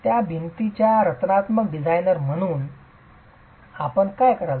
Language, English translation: Marathi, As the structural designer of that wall, what would you do